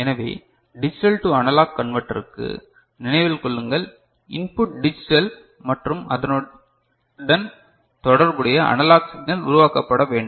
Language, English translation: Tamil, So, remember for a digital to analog conversion, the input is digital right and corresponding analog signal is to be generated